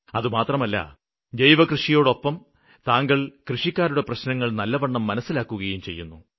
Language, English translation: Malayalam, And not just that, you also understand the problems of the farmers really well